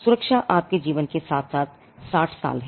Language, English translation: Hindi, Then the protection is your life plus 60 years